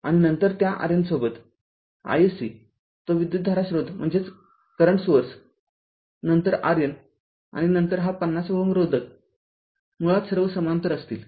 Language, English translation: Marathi, After that with that R N ah all all your i s c that current source then R N, ah and then this 50 ohm all will be in parallel basically right